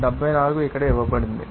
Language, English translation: Telugu, 74 is given here